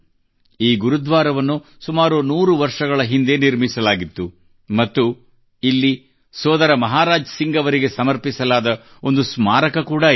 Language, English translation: Kannada, This Gurudwara was built about a hundred years ago and there is also a memorial dedicated to Bhai Maharaj Singh